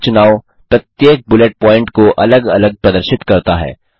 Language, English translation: Hindi, This choice displays each bullet point separately